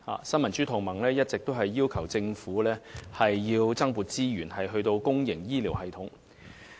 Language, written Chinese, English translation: Cantonese, 新民主同盟一直要求政府增撥資源予公營醫療系統。, Neo Democrats has been demanding that the Government allocates additional resources to support the public health care system